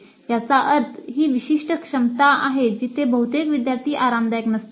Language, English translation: Marathi, That means that is the specific competency where the major to the students are not comfortable